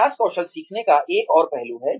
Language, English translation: Hindi, Practice is another aspect of skill learning